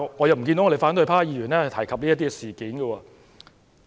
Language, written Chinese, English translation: Cantonese, 然而，反對派議員卻未有提及此事。, However Members of the opposition party have not mentioned this incident